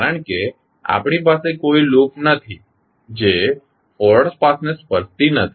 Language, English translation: Gujarati, Because, we do not have any loop which is not touching the forward path